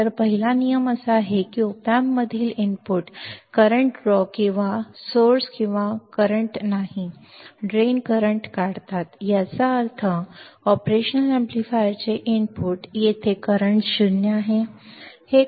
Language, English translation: Marathi, So, first rule is that the inputs to the op amp draw no current draw or source or no current right, draw drain no current ; that means, the input to the operational amplifier here the current is 0 is 0